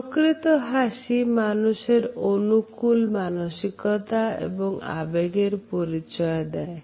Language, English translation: Bengali, Genuine smiles are a reward for positive actions and feelings